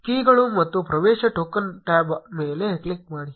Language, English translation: Kannada, Click on the keys and access token tab